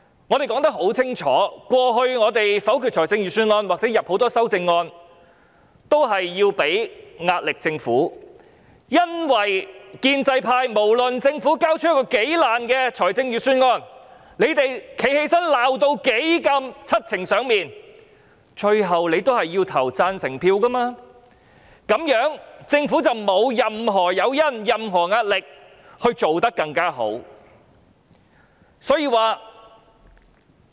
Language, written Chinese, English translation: Cantonese, 我們說得很清楚，過去否決預算案或提出許多修正案，都是為了向政府施壓，因為不論政府交出一個如何不濟的預算案，建制派縱使發言時罵得七情上面，最終還是要投票贊成的，那麼政府便沒有任何誘因或壓力要做得更好。, We have made it very clear that we voted against the Budget or proposed many amendments in the past for the sole purpose of putting pressure on the Government because no matter how pathetic a Budget the Government might submit the pro - establishment camp would eventually vote for it even though they uttered harsh words with dramatic facial expressions during their speech and it followed that the Government had no incentive or felt no pressure to do better